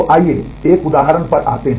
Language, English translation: Hindi, So, let us come to an example